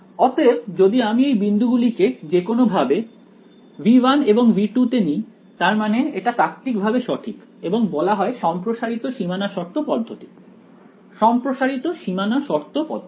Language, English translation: Bengali, So, if I pick these points like this arbitrarily in V 1 and V 2 then I mean theoretically it is correct and doing so is called the extended boundary condition method; extended boundary condition method